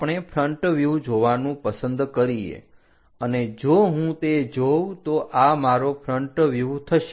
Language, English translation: Gujarati, We would like to view front view if I am deciding this will be my front view